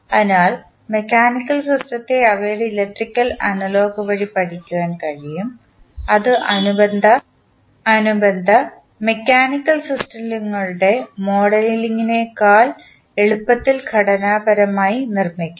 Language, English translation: Malayalam, So, the mechanical system can be studied through their electrical analogous, which may be more easily structured constructed than the models of corresponding mechanical systems